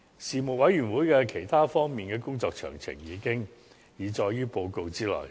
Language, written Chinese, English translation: Cantonese, 事務委員會在其他方面的工作詳情，已載於報告之內。, The details of the work of the Panel in other areas are set out in its report